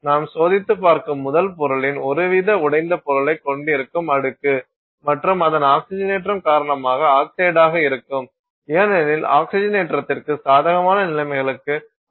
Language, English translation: Tamil, It is the layer that is having some kind of broken down material of the parent material that you are testing and a fair bit of it is going to be oxide because of its oxidation, you know, you are exposed it to conditions that are favorable to oxidation, so it is very likely that it will be in an oxidized form